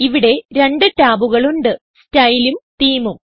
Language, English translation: Malayalam, Here, there are two tabs: Style and Theme